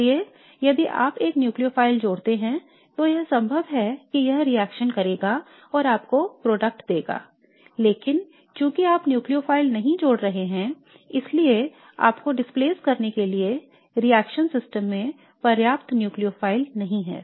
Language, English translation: Hindi, So if you add a nucleophile it is quite likely that it is going to react and give you the product but since you are not adding a nucleophile there is not enough of the nucleophile in the reaction system to displace this